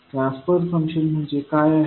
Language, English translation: Marathi, Som what is transfer function